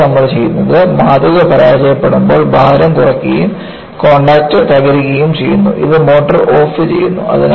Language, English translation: Malayalam, And, what you do is, when the specimen fails, the weights drop of and the contact is broken and this, switches of the motor